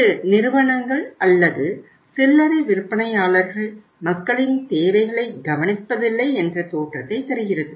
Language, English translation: Tamil, And it gives the impression that these companies or these retailers or these people do not take care of the needs of the people